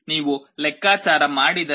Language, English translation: Kannada, If you make a calculation this comes to 3